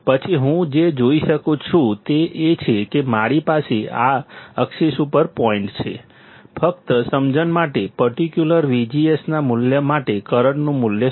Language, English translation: Gujarati, Then, what I see is that I have points on this axis, just by understanding, what is the current value for particular V G S value